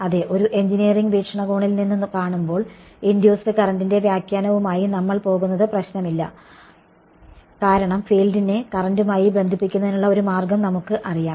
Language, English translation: Malayalam, Yeah, from an engineering point of view does not matter there is induced the reason why we will go with the interpretation of induced current is because we know a way of relating field to current right